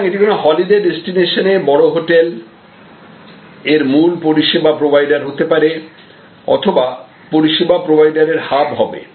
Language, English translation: Bengali, So, this will be that major hotel at the holiday destination, this will be the core service provider or in a way the hub service provider